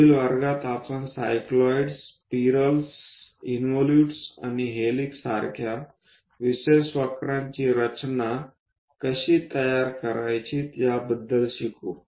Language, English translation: Marathi, In the next class, we will learn about how to construct the special curves like cycloids, spirals, involutes and helix